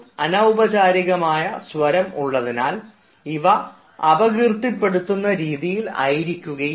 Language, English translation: Malayalam, but since it is informal, the tone will not be that offending